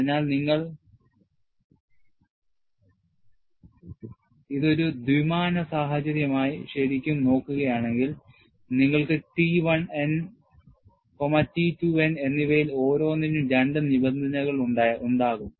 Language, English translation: Malayalam, So, if you really look at this, for a two dimensional situation, you will have 2 terms for each one of T 1 n and T 2 n; either you could put it as T 1 n or T X n and T Y n